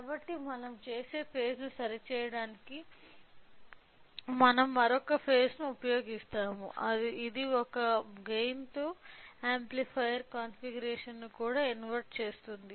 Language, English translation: Telugu, So, in order to correct the phase what we do is that we will we will use another stage which is also inverting amplifier configuration with a gain of one